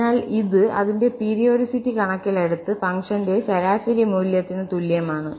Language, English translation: Malayalam, So, this is equal to the average value of the function again considering its periodicity